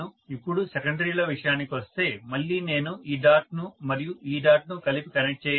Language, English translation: Telugu, Now as far as secondaries are concerned, again I have to connect this dot and this dot together